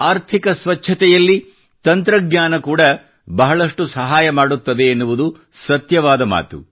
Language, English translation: Kannada, It is true that technology can help a lot in economic cleanliness